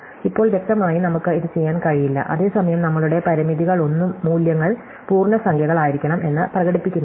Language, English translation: Malayalam, Now, obviously, we cannot do this at the same time we have not any of our constraints express that the values must be integers